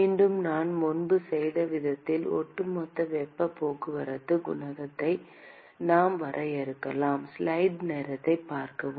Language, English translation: Tamil, Once again, the way we did before, we could define an overall heat transport coefficient